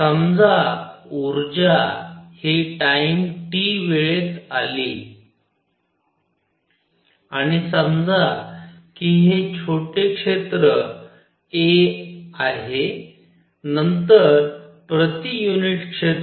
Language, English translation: Marathi, So, suppose delta E energy comes out in time delta t and suppose this area is small area is delta A then per unit area